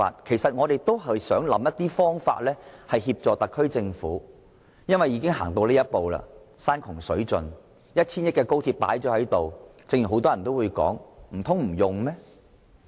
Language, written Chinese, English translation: Cantonese, 其實，我們只不過是想找些方法協助特區政府，因為既然已經山窮水盡，耗資 1,000 億元的高鐵已經落成，難道真的如很多人所說不去使用嗎？, And yet we are simply trying to help the SAR Government by all means as the issue has already come to a dead end . In view that the construction of XRL costing 100 billion has been completed are we really going to leave it idle as advocated by many people?